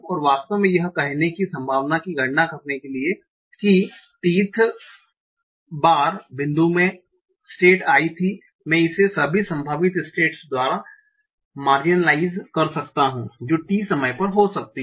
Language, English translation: Hindi, And to actually come to the probability of saying that at t th time point the state was i, I can marginalize it by all the possible states that can happen at time t